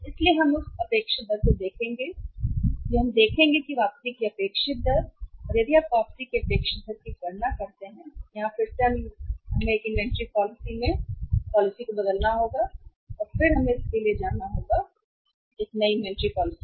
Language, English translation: Hindi, So, we will see that expected rate we will see that expected rate of return expected rate of return and if you calculate the expected rate of Return here again we will have to change the policy in an inventory policy again we have to go for the inventory policy